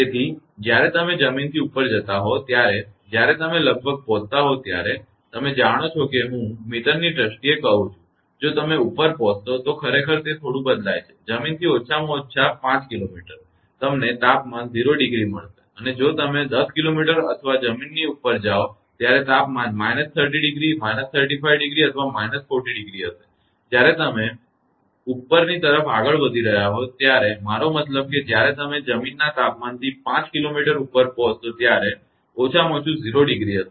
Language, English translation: Gujarati, So, when you are moving above the ground when you reaches nearly you know if I tell in terms of meter if you reaches reach above of course, it varies little bit at least 5 kilometer from the ground you will find temperature will be 0 degree and if you go a 10 kilometer or above the ground the temperature will be minus 30 minus 35 or minus 40 degree when you are moving upwards right I mean when you reach to a 5 kilometer above the ground temperature will be at least 0 degree